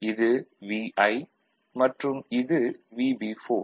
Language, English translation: Tamil, So, this is your VB, VB4, ok